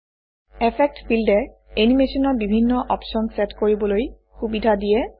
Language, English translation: Assamese, The Effect field allows you to set animations options